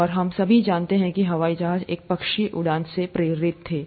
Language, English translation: Hindi, And, all of us know that the airplanes were inspired by a bird flying